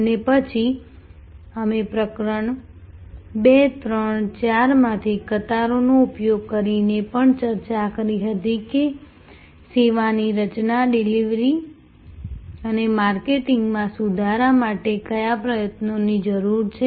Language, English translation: Gujarati, And then, we had also discussed using the queues from chapter 2, 3 and 4 that what efforts are therefore needed for improvement in which the service is designed, delivered and marketed